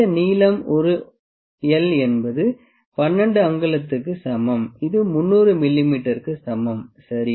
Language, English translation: Tamil, This length l is equal to 12 inches which is equal to 300 mm, ok